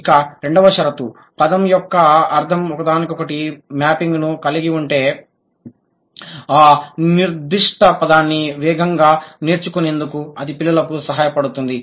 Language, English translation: Telugu, The second condition, if the word has a one to one mapping of the meaning, then it will help the child to acquire that particular word faster